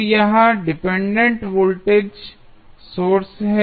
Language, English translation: Hindi, So, this is dependent voltage source